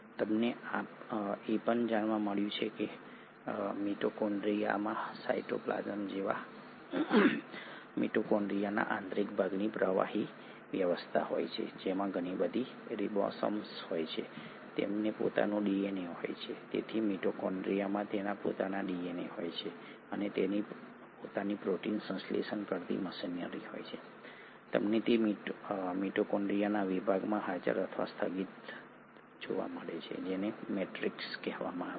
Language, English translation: Gujarati, What you also find is that the inner part of the mitochondria like cytoplasm in mitochondria has a fluidic arrangement which has a lot of ribosomes, it has its own DNA so mitochondria consists of its own DNA and it has its own protein synthesising machinery, you find it present or suspended in section of mitochondria which is called as the matrix